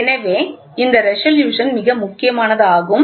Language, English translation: Tamil, So, this is also very important resolution